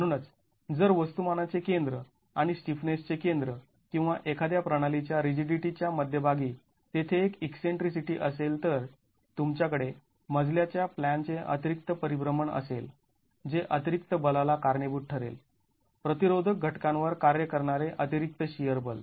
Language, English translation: Marathi, Therefore, if there is an eccentricity between the center of mass and the center of stiffness or the center of rigidity of a system, you will have additional rotation of the flow plan which will cause additional forces, additional shear forces acting on the resisting elements